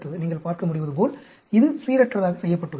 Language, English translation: Tamil, As you can see, it is randomly done